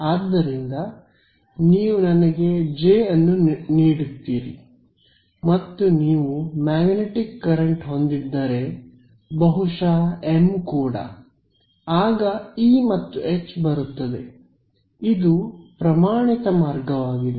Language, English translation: Kannada, So, you give me J and maybe even M if you have a magnetic current and out comes E and H this is a standard route